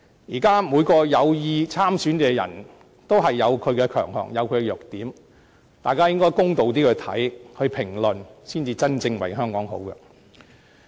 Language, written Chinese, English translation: Cantonese, 現時每位有意參選的候選人均各有其強項和弱點，大家應比較公道地看待和評論，這才是真正為香港好。, As we can see now all candidates who intend to run in the election have their own strengths and weaknesses and for the real good of Hong Kong we should treat them and comment on their performance more fairly